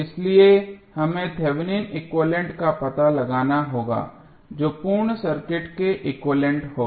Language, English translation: Hindi, So, we have to find out the Thevenin equivalent which would be the equivalent of the complete circuit